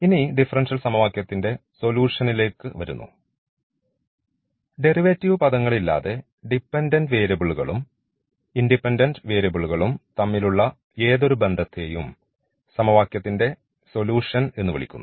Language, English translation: Malayalam, Now coming to the solution of the differential equation, so any relation between the dependent and independent variable without the derivative terms, because in the solution we do not want to see the derivatives, the derivatives will be in the equation in the differential equation